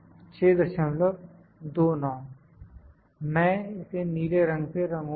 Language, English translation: Hindi, 2 I will just colour it maybe blue, ok